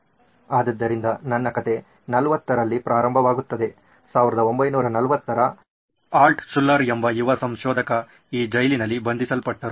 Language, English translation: Kannada, So my story starts here 40’s, 1940’s a young inventor by name Altshuller was imprisoned in this prison